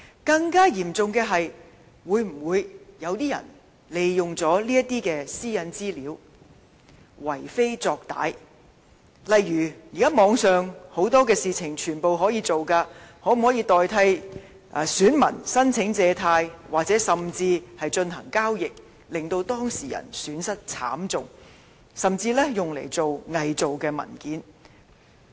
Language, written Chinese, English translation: Cantonese, 更嚴重的是，會否有人利用這些私隱資料為非作歹，例如現時很多事情也可以在網上進行，例如可否以外泄的資料冒認選民申請借貸，甚至進行交易，令當事人損失慘重，甚至用來偽造文件？, Nowadays many acts can be performed online . Would someone use the stolen data to apply for loans in the name of the electors or to conduct transactions which would cause huge losses to them or to forge documents with such data?